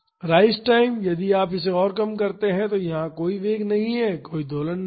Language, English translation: Hindi, The rise time if you reduce it further here there is no velocity so, there is no oscillation